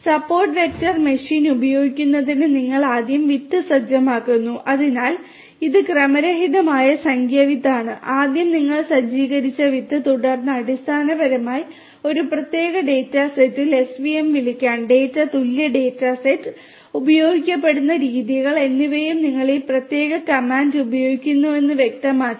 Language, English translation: Malayalam, For use of support vector machine you know you first set the seed, so this is the random number seed, the seed you set first and then basically to invoke svm on a particular data set, data equal data set and the methods that will be used are also specified you use this particular comment